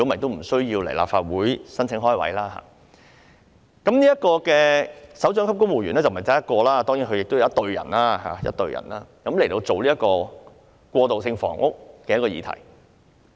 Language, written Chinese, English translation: Cantonese, 當然，這不單涉及一個首長級公務員職位，其轄下是有一隊人員，職責是處理過渡性房屋這議題。, Of course this does not just involve a directorate civil service post as there will be a team of officers under it responsible for handling the issue of transitional housing